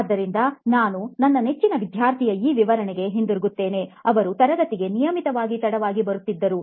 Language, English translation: Kannada, So we go back to this illustration of my favourite student who used to come very late to class and very regularly at that